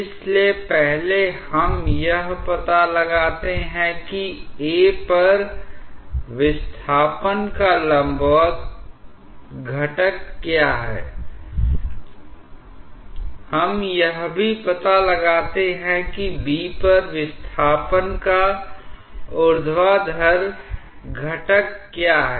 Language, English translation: Hindi, So, first we find out what is the vertical component of the displacement at A, also we find out what is the vertical component of the displacement at B